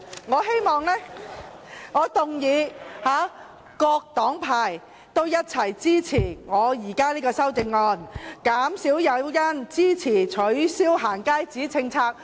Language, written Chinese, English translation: Cantonese, 我希望，我動議，各黨派共同支持我提出的修正案，減少"假難民"來港誘因，支持取消"行街紙"的政策。, I wish I move that the various parties support my amendment to reduce the incentive for bogus refugees to come to Hong Kong to support the scrapping of the going - out passes policy